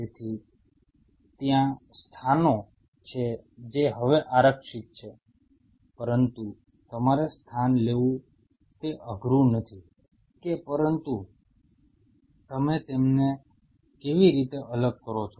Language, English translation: Gujarati, So, there are locations which are reserved now, but you have to location is not an issue is how you separate them out